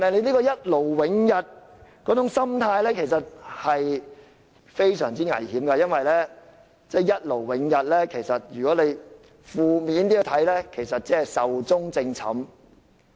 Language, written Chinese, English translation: Cantonese, 這種一勞永逸的心態其實非常危險，因為看得負面一點，一勞永逸其實是壽終正寢。, This once - and - for - all attitude is extremely dangerous . To put it in a relatively negative way once and for all would mean death